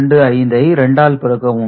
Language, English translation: Tamil, 5 it is multiplied by 2